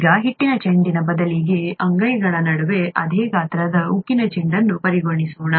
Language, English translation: Kannada, Now, instead of a dough ball, let us consider a steel ball of the same size between the palms